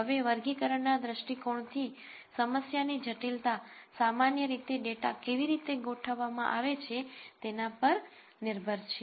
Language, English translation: Gujarati, Now from a classification view point, the complexity of the problem typically depends on how the data is organized